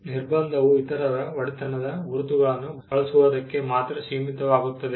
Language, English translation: Kannada, The restriction is only in confined to using marks that are owned by others